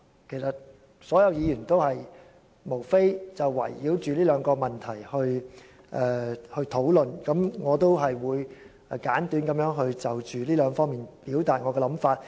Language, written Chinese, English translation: Cantonese, 其實，所有議員都是圍繞這兩個問題來討論。我也會簡短地從這兩方面表達我的想法。, All other Members in fact spoke on these two issues in their discussion and I will follow their steps to briefly express my views on these two aspects